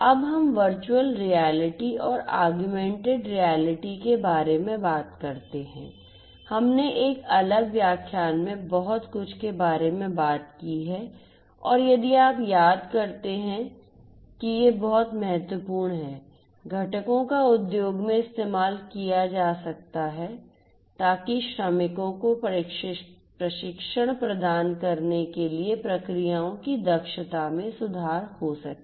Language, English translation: Hindi, Now, let us talk about virtual reality, virtual reality and augmented reality we talked about a lot in a separate lecture and if you recall that these are very very important components that could be used in the industry in order to improve the efficiency of the processes to offer training to the workers and so on